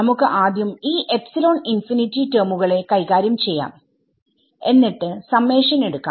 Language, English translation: Malayalam, So, let us let us deal with these epsilon infinity terms first and then get to the summation right